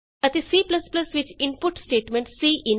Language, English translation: Punjabi, And the input statement in C++ is cin